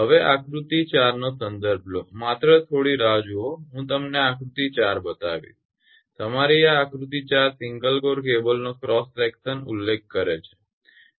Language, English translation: Gujarati, So, referring to figure 4 right just hold on I will show you the figure 4 this one, referring to your figure 4 the cross section of a single core cable this figure only referring to this figure right